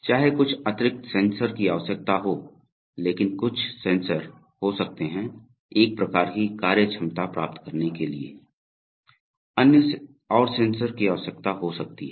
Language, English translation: Hindi, Whether some additional sensors are required, some sensors may be there but to achieve a kind of functionality, some other sensors may be needed